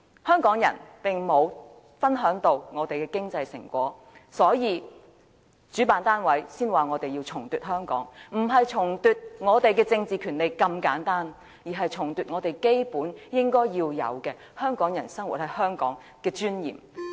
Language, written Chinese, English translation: Cantonese, 香港人並沒有分享到香港的經濟成果，所以主辦單位才說要重奪香港，不是重奪我們的政治權利這麼簡單，而是重奪香港人在香港生活應有的尊嚴。, Ordinary people cannot share the fruits of economic development . That is why the organizer of the march talks about retaking Hong Kong not simply to retake our political powers but also to retake the peoples dignity of living in Hong Kong